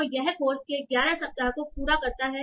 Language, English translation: Hindi, So that finishes our week 11 for this course